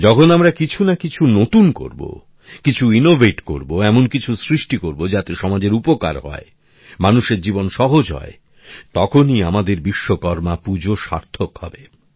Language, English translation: Bengali, When we do something new, innovate something, create something that will benefit the society, make people's life easier, then our Vishwakarma Puja will be meaningful